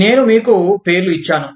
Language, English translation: Telugu, I gave you the names